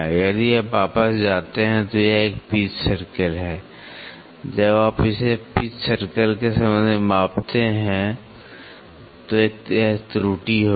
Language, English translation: Hindi, If you go back, this is a pitch circle when you measure it with respect to pitch circle there would be an error